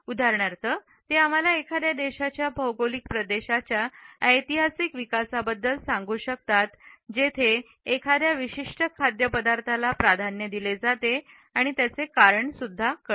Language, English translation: Marathi, For example, they can tell us about the historical development of a country, the geographical regions where a particular food item is preferred and why